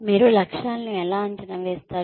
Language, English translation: Telugu, How do you assess objectives